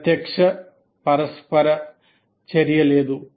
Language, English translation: Telugu, There is no direct interaction